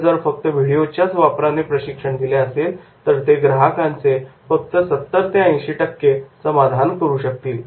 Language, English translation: Marathi, And if it is the only video, they will be able to satisfy the query of customer up to the 70, 80 percent